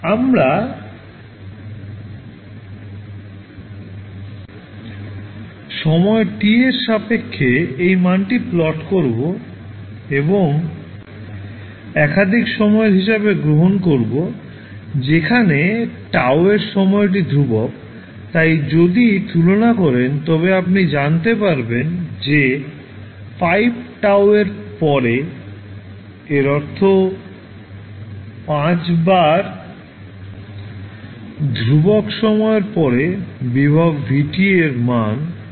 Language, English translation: Bengali, We will plot this value with respect to time t and let us take time t as a multiple of tau, that is the time constant so, if you compare you will come to know that after 5 tau, that means after 5 times constants the value of voltage Vt is less that 1 percent